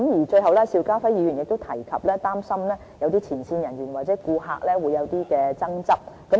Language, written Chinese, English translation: Cantonese, 最後邵家輝議員亦提及，擔心前線人員和顧客會有爭執。, Finally Mr SHIU Ka - fai has mentioned his concern about disputes between frontline officers and customers